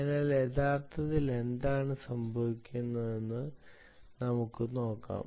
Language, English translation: Malayalam, so lets see what actually happens there